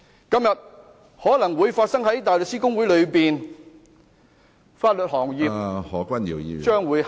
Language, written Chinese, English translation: Cantonese, 今天可能會在大律師公會內發生，法律行業將會堪虞......, The same may happen to the Hong Kong Bar Association . The legal profession is at risk